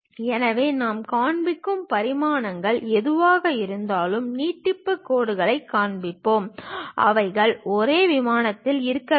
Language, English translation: Tamil, So, whatever the dimensions we will show, extension lines we will show; they should be in the same plane